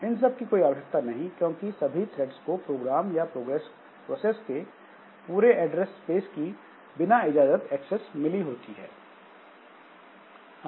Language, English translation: Hindi, So, they will not be required because all of them, so all the threads they have got unrestricted access to the entire address space of the program or of the process